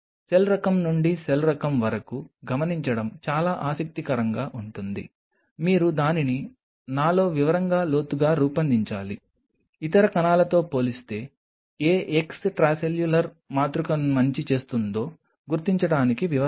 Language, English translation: Telugu, It is very interesting to note the cell type to cell type you have to really work it out in depth in detail in mine to is details to figure out that which extracellular matrix will do good as compared to the other one